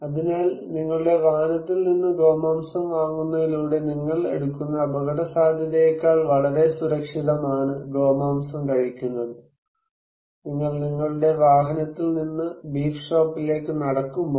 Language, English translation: Malayalam, So, eating beef is less much safer than the probability of the risk you are taking through buying the beef from your automobile, while you are walking from your automobile to the beef shop